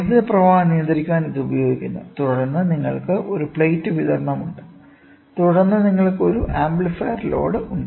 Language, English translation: Malayalam, So, which is used to control the flow of current and then you have a plate supply then you have an amplifier load